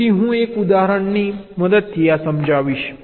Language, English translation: Gujarati, so let us illustrate this with the help of an example